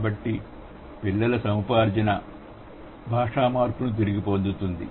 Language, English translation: Telugu, So, the acquisition by child individuals recapitulates language change